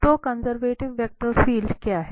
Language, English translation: Hindi, So, what is a conservative vector field